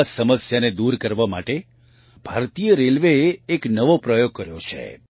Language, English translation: Gujarati, To overcome this problem, Indian Railways did a new experiment